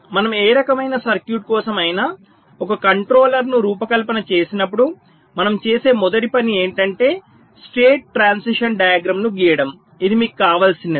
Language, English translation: Telugu, you see, whenever we design a controller for any kind of circuit, with the first thing we do is that we draw a state transition diagram